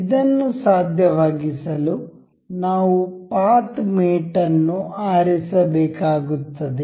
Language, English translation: Kannada, To make this possible, we will have to select the path mate